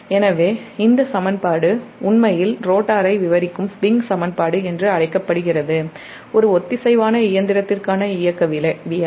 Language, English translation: Tamil, this is swing equation and your, it describes the rotor dynamics of the synchronous machine